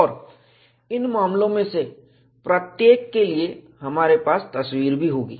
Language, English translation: Hindi, And, we would also have pictures, for each one of these cases